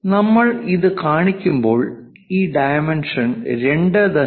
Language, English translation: Malayalam, When we are showing that, already we know this dimension is 2